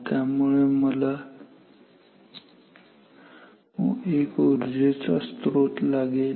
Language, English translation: Marathi, So, I need a power source